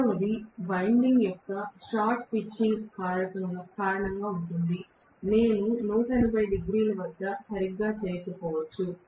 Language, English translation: Telugu, The second one is due to the short pitching of the winding; I may not do it exactly at 180 degrees